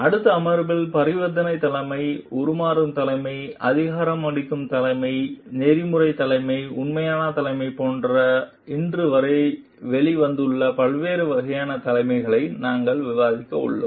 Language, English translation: Tamil, In the next session, we are going to discuss the different forms of leadership, which has emerged till date like transactional leadership, transformational leadership, empowering leadership, ethical leadership, authentic leadership